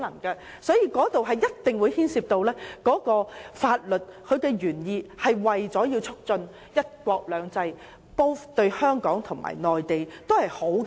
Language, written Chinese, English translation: Cantonese, 因此，當中一定牽涉法律原意，即為了促進"一國兩制"，對香港和內地均是好事。, Hence it must involve the legislative intent ie . the promotion of one country two systems which is desirable to both Hong Kong and the Mainland